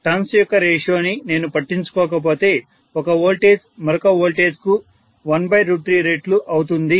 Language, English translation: Telugu, If I don’t take care of turn’s ratio one voltage will be 1 by root 3 times the other voltage